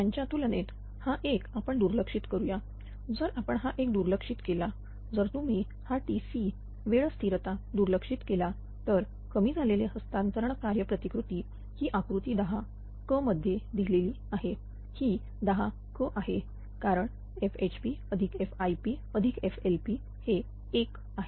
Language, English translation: Marathi, So, compared to that this 1 we can neglect, if you neglect this 1 if you neglect this T c right the time constant if you neglect right, then the reduced transfer transfer function model is given in figure 10 c this is ten c because F HP ah plus F IP plus F LP is 1 right this 1